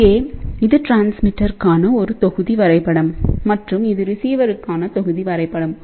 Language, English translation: Tamil, So, here is a block diagram for transmitter and this is the block diagram for receiver